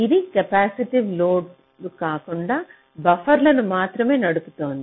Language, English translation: Telugu, it is only driving the buffers, not the capacitive loads